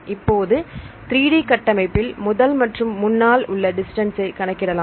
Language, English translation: Tamil, Now, in the 3D structure you can calculate the distance from the first one and the forth one